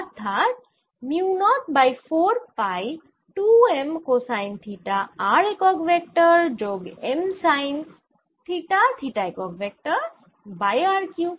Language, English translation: Bengali, so this gives me mu naught over four pi and i have two m cosine of theta r plus m sine of theta in theta direction divided by r cubed